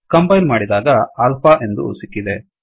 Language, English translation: Kannada, On compiling, we get alpha